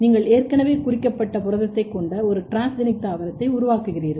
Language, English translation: Tamil, So, you can basically make a transgenic plant where you already have a tagged protein